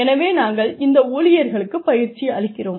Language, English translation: Tamil, So, we train these employees